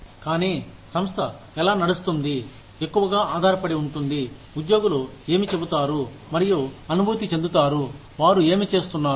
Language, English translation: Telugu, But, how the organization runs, has to depend largely on, what employees say and feel about, what they are doing